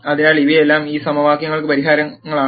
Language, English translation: Malayalam, So, all of these are solutions to these equations